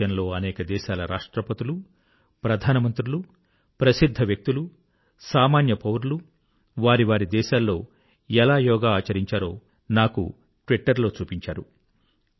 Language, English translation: Telugu, The Presidents, Prime Ministers, celebrities and ordinary citizens of many countries of the world showed me on the Twitter how they celebrated Yoga in their respective nations